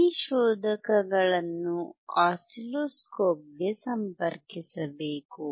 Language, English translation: Kannada, This is the probe that we connect to the oscilloscope